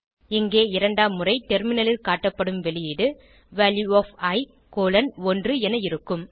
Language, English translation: Tamil, In our case, second time the output displayed on terminal will be Value of i colon 1